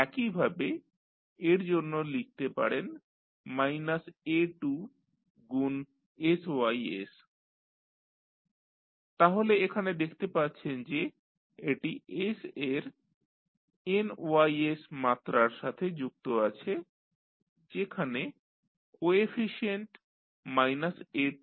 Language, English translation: Bengali, Similarly, for this you can write minus a2 into sys so sys so you see here and this is connected with s to the power nys with the coefficient minus a2